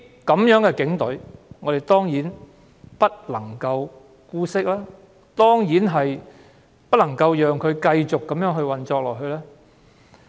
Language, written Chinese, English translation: Cantonese, 這樣的警隊當然不能姑息，當然不能讓它繼續這樣運作下去。, Certainly such kind of Police Force should not be tolerated and its continuous operation should certainly be stopped